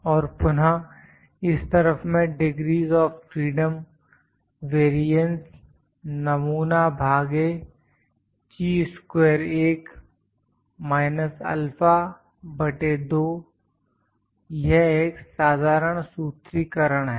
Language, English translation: Hindi, And this is again on this side also I can have degrees of freedom variance sample divided by Chi square for 1 minus alpha by 2, this is a general formulation